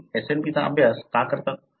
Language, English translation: Marathi, Why do you study SNP